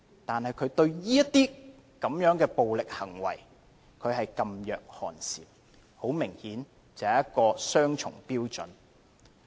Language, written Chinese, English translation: Cantonese, 但是，她對於這些暴力行為，噤若寒蟬，很明顯她是持雙重標準。, Yet she remained as silent as a stone when facing such acts of violence . Obviously she adopts double standards